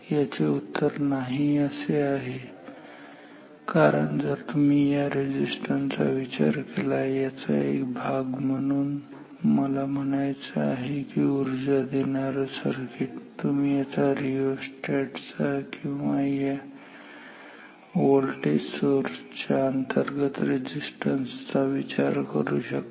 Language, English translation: Marathi, The answer is no why because you can think all these resistances as a part of this I mean this is a supply circuit part of the maybe it is you can think of this as the part of these rheostat or part of this internal resistance of this voltage source